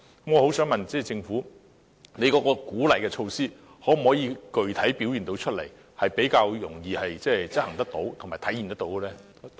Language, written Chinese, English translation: Cantonese, 我想問政府，有關的鼓勵措施可否具體地表現出來，以便較容易地執行和體現呢？, May I ask the Government if the incentives can be expressed in concrete ways so that they can be implemented and manifested more easily?